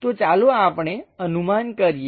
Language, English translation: Gujarati, So, let us guess that